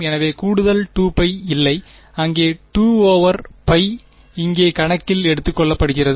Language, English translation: Tamil, So, there is no additional 2 pi right there 2 over pi has being taken account into account over here ok